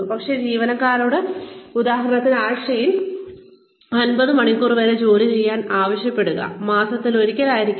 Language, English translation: Malayalam, But, asking the employee to work, say, maybe up to 50 hours a week, say, may be once a month